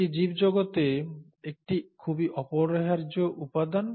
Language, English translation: Bengali, It is a very indispensable component of a living world